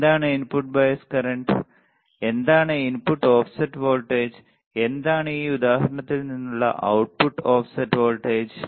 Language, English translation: Malayalam, What is input bias current and what is input offset voltage and what is output offset voltage the the from this example what we have seen